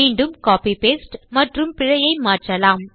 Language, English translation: Tamil, Again copy paste and change that to error